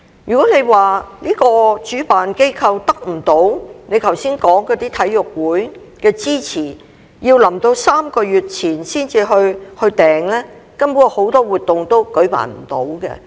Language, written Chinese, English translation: Cantonese, 如果主辦機構得不到你剛才所說的體育會的支持，要到3個月前才去預訂場地，根本很多活動都舉辦不到。, If the organizer cannot get the support of NSAs as you mentioned and hence the booking of sports venues can be made only three months in advance many events will not be able to take place at all